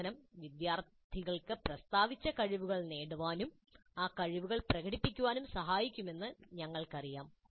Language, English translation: Malayalam, We already know that instruction must facilitate students to acquire the competencies stated and demonstrate those competencies